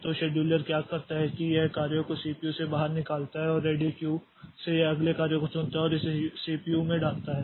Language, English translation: Hindi, So, what the scheduler does is that it takes the job out of the CPU and it from the ready queue it picks up the next job and puts it into the CPU